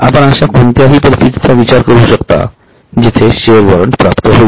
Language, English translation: Marathi, Can you think of any such scenario where a share warrant is received